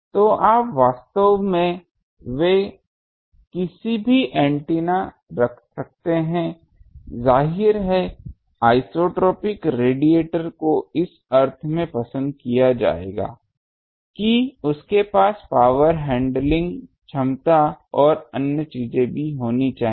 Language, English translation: Hindi, So, you can put any antenna they are actually; obviously, dipole will be preferred to over isotropic radiator in the sense that you will have to have the power handling capability and other things